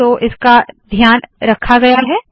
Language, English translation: Hindi, So this is taken care of